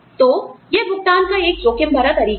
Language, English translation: Hindi, So, that is an, at risk form of pay